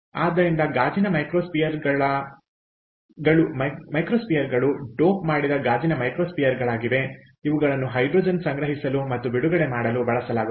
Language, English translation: Kannada, so, glass microspheres: ok, these are doped glass microspheres which are used to store and release hydrogen